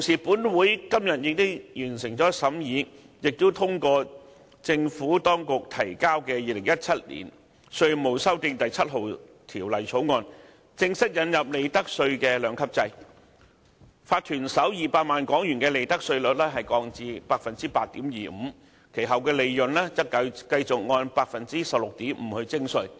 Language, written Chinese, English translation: Cantonese, 本會在今次會議上通過的《2017年稅務條例草案》，正式引入利得稅兩級制，將法團首200萬港元利潤的利得稅率降至 8.25%， 其後利潤則繼續按 16.5% 徵稅。, 7 Bill 2017 passed at this Council meeting formally introduces a two - tiered profits tax rates system lowering the profits tax rate for the first HK2 million of profits of corporations to 8.25 % while maintaining the tax rate of 16.5 % for profits above that amount